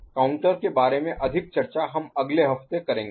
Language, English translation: Hindi, More about counter we shall discuss next week